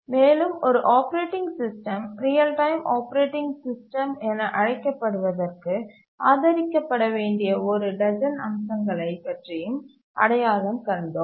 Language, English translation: Tamil, We identified about a dozen features which an operating system needs to support in order to be called as a real time operating system